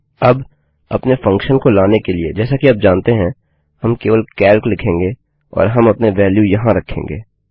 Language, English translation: Hindi, Now to call our function, as you know, we will just say calc and put our values in